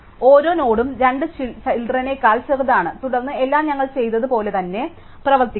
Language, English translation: Malayalam, So, that the each node is smaller than its two children and then everything would work exactly as we have done, so for